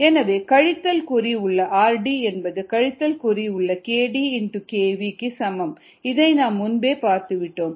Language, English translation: Tamil, therefore, minus r d equals minus k d x v, which is what we had seen earlier